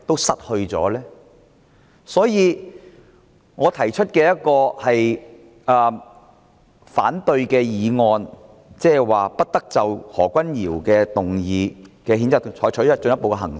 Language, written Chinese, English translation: Cantonese, 所以，我提出這項議案，建議不得就何君堯議員的譴責議案採取進一步行動。, For this reason I move this motion that no further action be taken on the censure motion moved by Dr HO